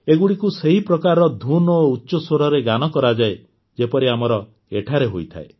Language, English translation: Odia, They are sung on the similar type of tune and at a high pitch as we do here